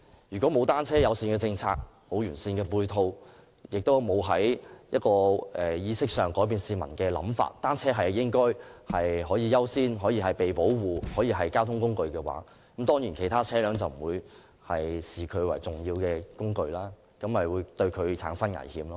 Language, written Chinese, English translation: Cantonese, 如果欠缺單車友善政策和完善的配套，亦未能從意識上改變市民的想法，即單車屬優先、受到保護的交通工具，其他車輛當然不會視它為重要的工具，因而對它產生危險。, In the absence of a bicycle - friendly policy and comprehensive auxiliary facilities and without changing the mindset of the public by developing a sense that bicycles are a mode of transport to be accorded priority and protection users of other vehicles will certainly not see them as important thereby putting them at risk